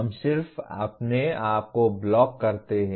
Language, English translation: Hindi, We just kind of block ourselves